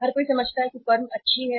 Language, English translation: Hindi, Everybody understands that the firm is good